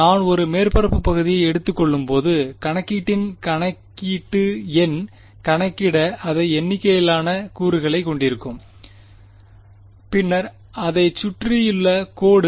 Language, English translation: Tamil, The computation number of computation as I take a surface area will have more number of elements to calculate then just the line around it